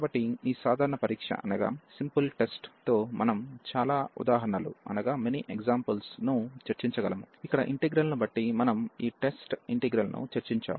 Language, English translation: Telugu, So, with this simple test we can discuss many examples, where based on the integral which we have just discuss this test integral